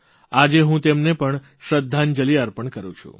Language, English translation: Gujarati, Today, I pay homage to her too